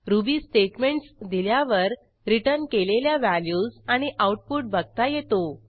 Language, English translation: Marathi, You can run Ruby statements and examine the output and return values